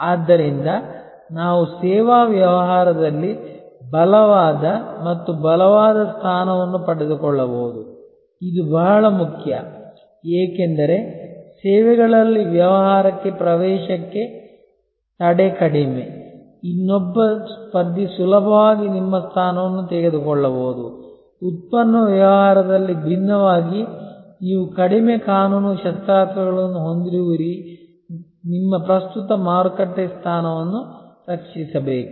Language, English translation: Kannada, So, that we can acquire a stronger and stronger position in the services business, this is very important, because in services business barrier to entry is low, another competitor can easily take your position, unlike in product business there are fewer legal weapons that you have to protect your current market position